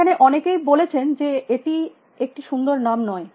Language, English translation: Bengali, Now, many people have said that, it is name is not a nice name